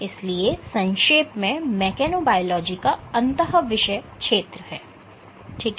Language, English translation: Hindi, So, in a nutshell your mechanobiology, it is an interdisciplinary field ok